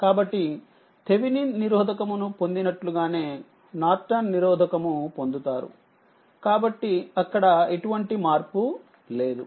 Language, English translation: Telugu, So, ah the way we have obtain Thevenin resistance same way Norton so there is no change there